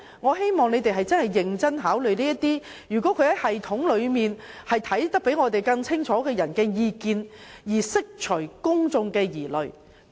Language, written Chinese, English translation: Cantonese, 我希望政府會認真考慮那些對有關系統較我們有更清晰觀察的人士的意見，從而釋除公眾疑慮。, I hope the Government will consider the views of those who have a better understanding of the system than us so as to allay public concern